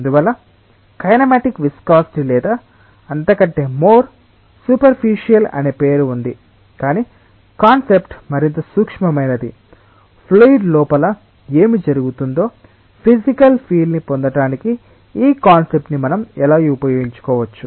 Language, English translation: Telugu, So, that is why the name kinematic viscosity or that is something more superficial, but the concept is more subtle that, how we can utilise the concept of this to get a physical feel of what is happening within the fluid